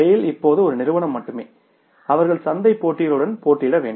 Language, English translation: Tamil, Sale is only one company now and they have to compete with the market competition